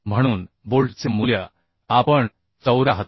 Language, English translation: Marathi, 74 therefore the bolt value we can consider as 74